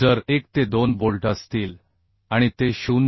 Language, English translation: Marathi, 6 if 1 to 2 bolts are there and it is 0